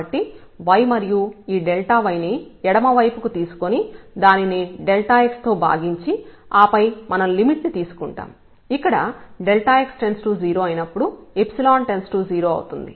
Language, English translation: Telugu, So, the delta y and we take this dy to the left and divided by this delta x and then take the limit since this epsilon goes to 0 as delta x goes to 0